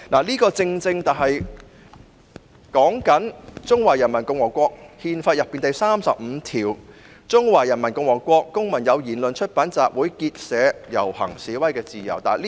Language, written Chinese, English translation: Cantonese, 這正正是指《中華人民共和國憲法》裏第三十五條："中華人民共和國公民有言論、出版、集會、結社、遊行、示威的自由。, It precisely refers to Article 35 of the Constitution of the Peoples Republic of China Citizens of the Peoples Republic of China shall enjoy freedom of speech the press assembly association procession and demonstration